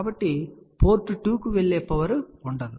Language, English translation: Telugu, So, there will be no power which is going to port 2